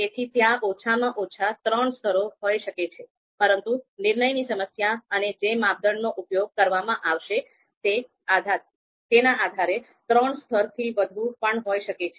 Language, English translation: Gujarati, So, there are going to be minimum three levels, so there could be more than three levels depending on the decision problem, depending on the you know criteria that are going to be used